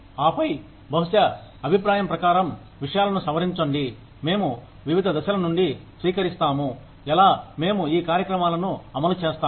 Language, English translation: Telugu, And then, maybe, revise things, according to the feedback, we receive from, different stages of, how, we have implemented these programs